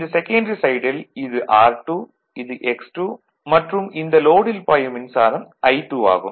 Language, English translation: Tamil, So, this side is R 2, this is X 2 and here load is there say so, this is R 2 and current flowing through this is I 2